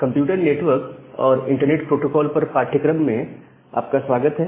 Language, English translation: Hindi, Welcome back to the course on computer network and internet protocol